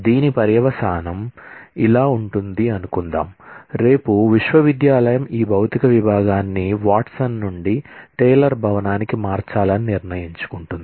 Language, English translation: Telugu, The consequence of this could be suppose, tomorrow the university decides to move this Physics department from Watson to the Taylor building